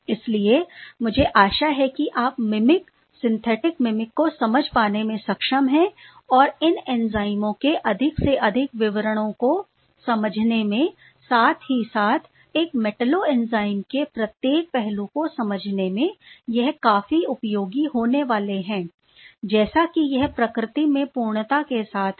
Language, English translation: Hindi, So, I hope you are able to get some sense that these mimic, synthetic mimic are going to be quite useful in understanding these enzymes and the greater details and the ability to understand almost every aspects of a metalloenzyme which has been perfected by nature, I think is quite remarkable ok